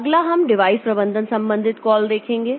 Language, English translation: Hindi, Next we will see the device management related call